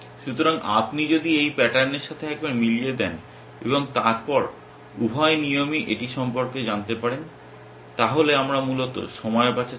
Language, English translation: Bengali, So, if you match this pattern ones and then both the rules come to know about it, then we are saving time essentially